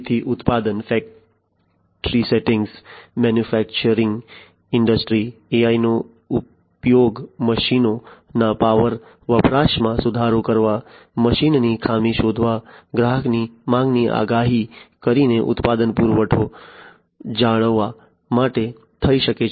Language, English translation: Gujarati, So, in the manufacturing factors sector, manufacturing industries AI could be used to improve machines power consumption, detection of machinery fault, maintaining product supply by predicting consumer demand